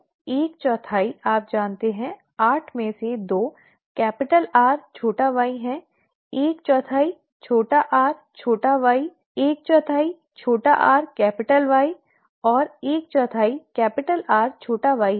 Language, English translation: Hindi, Therefore, one fourth, you know, two out of eight is capital R capital Y, one fourth is small r small y, one fourth is small r capital Y, and one fourth is capital R small y